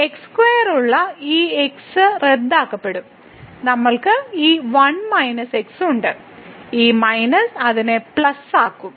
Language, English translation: Malayalam, So, this with square will get cancel we have this one minus and this minus will make it plus